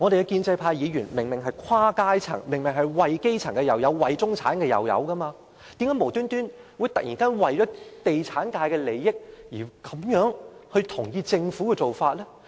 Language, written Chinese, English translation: Cantonese, 建制派議員明明來自不同階層，既有代表基層市民，也有代表中產階層，為何他們無緣無故突然為了地產界的利益而同意政府的做法呢？, Pro - establishment Members come from different strata with some representing the grass roots and some representing the middle class; how come they suddenly for no reason at all endorse the Governments proposal for the interests of the property sector?